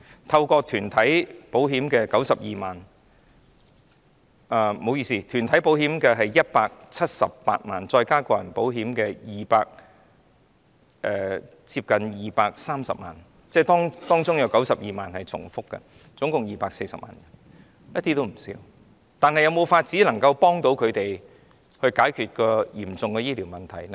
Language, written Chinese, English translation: Cantonese, 透過團體購買保險的有178萬人，加上個人購買保險的近230萬人，當中有92萬人是重複的，即合共240萬人，數字絕對不低，但能否幫助他們解決嚴重的醫療問題呢？, There were 1.78 million people who held group - based policies adding to this those who held individual health insurance policies the number came close to 2.30 million people of which an overlapping 0.92 million people had both types of policies and the total was 2.40 million people a number that was absolutely not small . But can this help them solve the grave problem of medical care?